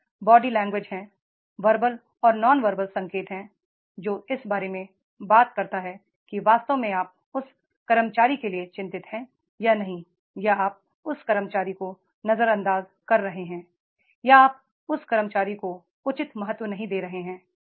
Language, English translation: Hindi, Then there are the body languages, verbal and non verbal cues are there which talks about that is the real you concern, feel concern for that employee or not, or you are ignoring that employee or you are not giving the due importance to that employee